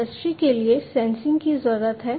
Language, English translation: Hindi, So, there is a need of sensing for the industry